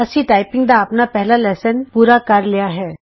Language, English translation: Punjabi, We have completed our first typing lesson